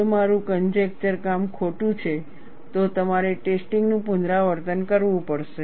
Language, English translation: Gujarati, If my guess work is wrong, you have to repeat the test